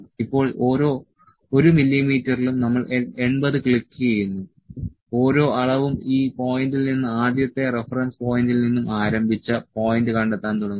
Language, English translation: Malayalam, Now, at each 1 mm can we click is 80 click each one measure start locating the point the first reference point is has started from this point